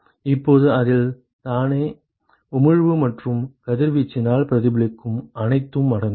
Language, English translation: Tamil, Now this includes the emission by itself plus whatever is reflected because of the incident radiation ok